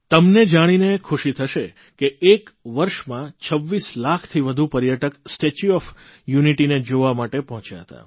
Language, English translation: Gujarati, You will be happy to note that in a year, more than 26 lakh tourists visited the 'Statue of Unity'